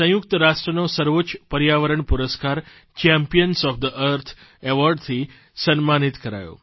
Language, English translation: Gujarati, The highest United Nations Environment Award 'Champions of the Earth' was conferred upon India